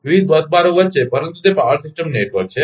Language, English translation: Gujarati, Among various bars, but it is a power system network